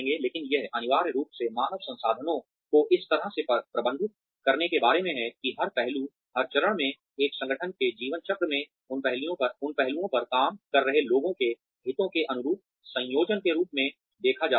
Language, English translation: Hindi, But, it is essentially about managing human resources in such a way that, every aspect, of every stage, in an organization's life cycle is, seen in conjunction, in line with the interests of the people, who are working on that aspect